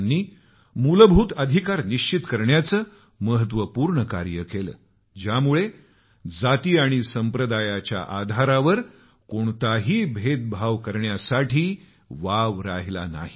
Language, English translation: Marathi, He strove to ensure enshrinement of fundamental rights that obliterated any possibility of discrimination on the basis of caste and community